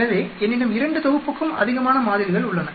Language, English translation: Tamil, So I have more than 2 sets of samples